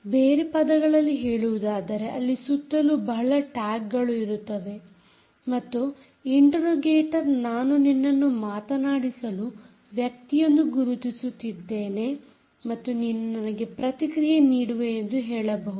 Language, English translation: Kannada, in other words, there can be many, many tags lying around and the interrogator can say: i have identified you as a as the person to talk and you will respond to me, which means you can be singulated